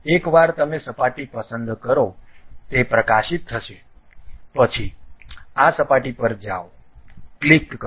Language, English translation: Gujarati, Once you select the surface it will be highlighted, then go to this surface, click